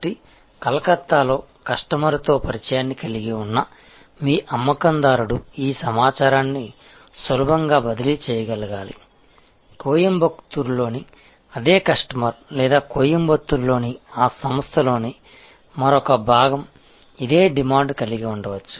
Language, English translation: Telugu, So, a customer, your sales person who is having an introduction with the customer in Calcutta should be able to easily transfer this information, that the same customer in Coimbatore or one another part of that organization in Coimbatore may have a similar demand